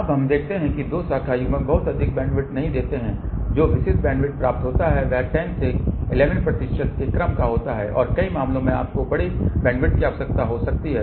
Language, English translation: Hindi, Now, we notice that the two branch couplers do not give too much bandwidth typical bandwidth obtained is of the order of 10 to 11 percent and many cases you may require larger bandwidth